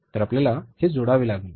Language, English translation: Marathi, So you have to add this up